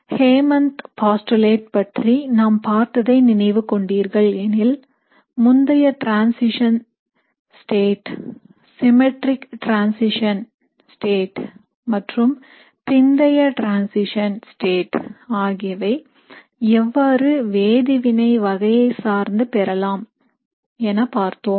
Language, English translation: Tamil, So if you remember our discussion of the Hammond’s postulate, we had looked at how you can have an early transition state, a symmetric transition state, and a late transition state depending on the type of the reaction